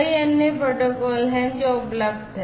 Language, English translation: Hindi, There are many other protocols that are also there